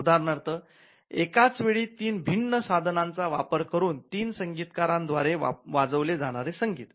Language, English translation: Marathi, For example, the music that is played by three musicians using different 3 different instruments at the same time